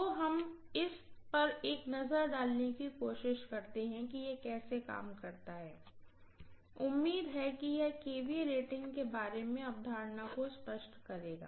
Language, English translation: Hindi, So let us try to take a look at this as to how this works, hopefully this will clarify the concept about the kVA rating, right